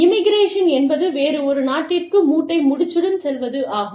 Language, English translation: Tamil, Immigration is movement, with bag and baggage, to a different country